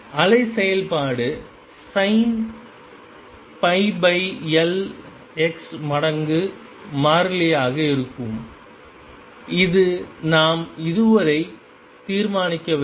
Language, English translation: Tamil, And the wave function is going to be sin pi over L x times a constant a which we have not determined so far